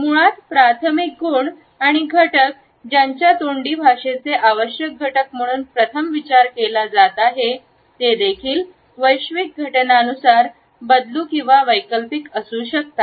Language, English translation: Marathi, Basically primary qualities and elements that while being first considered as indispensable constitutes of verbal language may also modified or alternate with it as paralinguistic phenomena